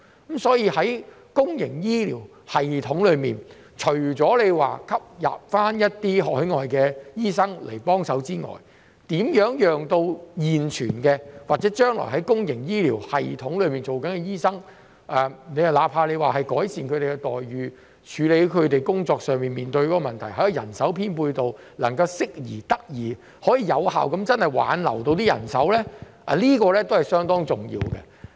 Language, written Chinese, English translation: Cantonese, 因此，在公營醫療系統方面，除了吸納海外醫生幫忙外，如何留住現存或將來會在公營醫療系統工作的醫生，包括改善他們的待遇、處理他們工作上面對的問題，以及人手編配得宜，以致能夠真正有效地挽留人手，亦是相當重要的。, Therefore in respect of the public healthcare system other than seeking assistance from overseas doctors it is also very important to retain the existing doctors and those who will potentially work in the public healthcare system including improving their remuneration solving the problems they encounter in their work and achieving better manpower deployment so as to genuinely and effectively retain manpower